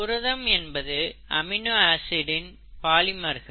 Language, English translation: Tamil, They are polymers of amino acids